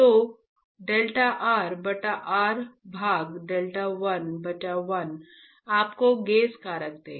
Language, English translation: Hindi, So, delta r by r divided by delta l by l will give you the gauge factor